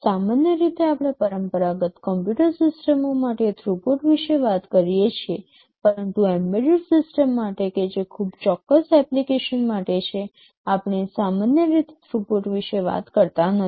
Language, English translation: Gujarati, Normally, we talk about throughput for conventional computer systems, but for an embedded system that is meant for a very specific application, we normally do not talk about throughput